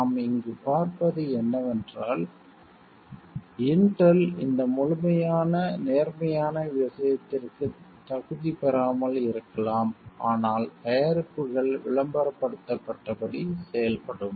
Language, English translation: Tamil, And what we see over here is like Intel may not have qualified to this fully positive thing, but the products will be functioning as it is advertised